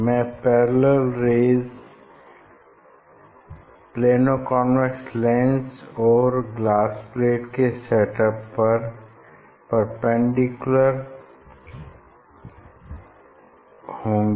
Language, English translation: Hindi, this perpendicular rays and their parallel perpendicular to the Plano convex lens with glass plate